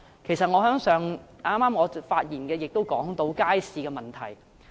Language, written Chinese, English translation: Cantonese, 其實我剛才的發言也提到街市的問題。, Actually I also mentioned the problems of markets in my speech just now